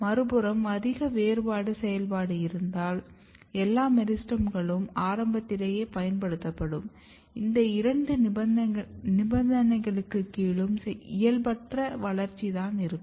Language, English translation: Tamil, On the other hand if you have more differentiation activity then meristems will be consumed early; under both the conditions you are going to see abnormal growth and development